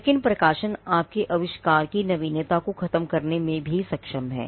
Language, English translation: Hindi, But publications are also capable of killing the novelty of your invention